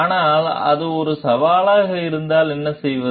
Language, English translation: Tamil, But, if what if it is a challenge